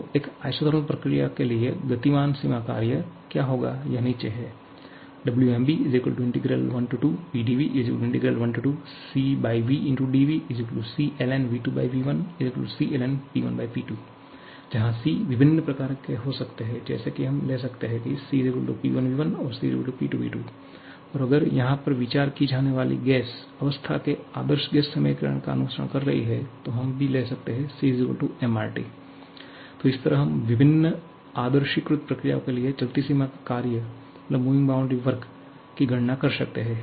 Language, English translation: Hindi, it is integral 1 to 2 PDV that is integral 1 to 2 C/V dV that is C * ln V2/V1 or C * ln P1/P2, C can be of different kinds of forms like we can take C = P1V1, we can take C = P2V2 and if your gas is following the ideal gas equation of state then, we can also write this to be equal to mRT